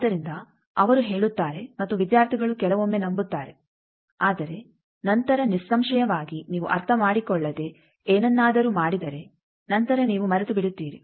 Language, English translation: Kannada, So, they say and students sometimes believe, but later; obviously, if you just without understanding do something later you forget